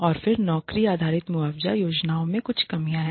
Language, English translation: Hindi, And then there is some drawbacks of the job based compensation plans